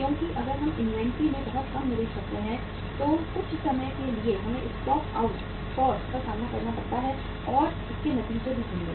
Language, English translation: Hindi, Because if we make the investment too less in the inventory then sometime we have to face the stock out cost and that will also have the its repercussions